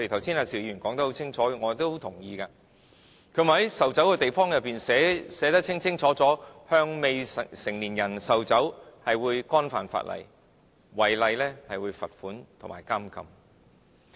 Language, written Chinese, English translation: Cantonese, 邵議員說得很清楚，我亦都很同意，他說應在售酒的地方內，寫明向未成年人售酒是犯法的，違例者會被罰款及監禁。, Mr SHIU Ka - fai has made it very clear and I agree with him that a notice should be displayed on all premises that sell liquor It is an offence to sell liquor to minor and the offender will be fined and jailed